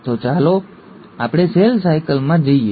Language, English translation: Gujarati, So let us go to the cell cycle